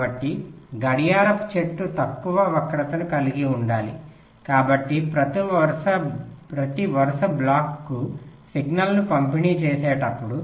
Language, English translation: Telugu, so the clock tree should have low skew, so while delivering the signal to every sequential block